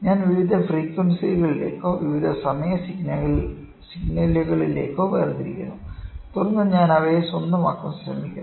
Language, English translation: Malayalam, So, I discretize it to various frequencies or various time signals and then I try to acquire them